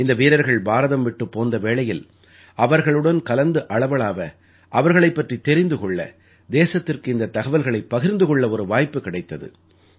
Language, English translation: Tamil, " When these sportspersons had departed from India, I had the opportunity of chatting with them, knowing about them and conveying it to the country